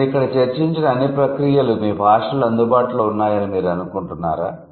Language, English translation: Telugu, Do you think all the processes that I have discussed here are available in your language